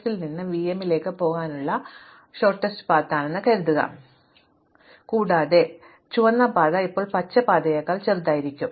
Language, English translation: Malayalam, Suppose, the shorter way to get from s to v m, then I can take this and this and the red path now will be shorter than the green path